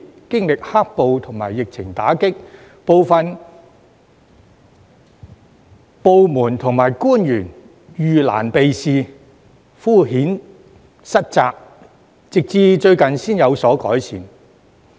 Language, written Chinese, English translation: Cantonese, 經歷"黑暴"及疫情打擊，部分部門與官員遇難避事，敷衍塞責，直至最近才有所改善。, Under the impact of both black - clad riots and the pandemic some departments and officials have evaded difficulties done half - hearted work and passed the buck . It is only recently that some signs of improvement have been shown